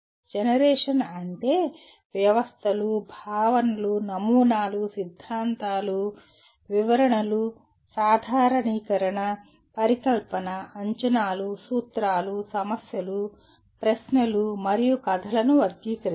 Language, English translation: Telugu, Generation is it can be classifying systems, concepts, models, theories, explanations, generalization, hypothesis, predictions, principles, problems, questions, and stories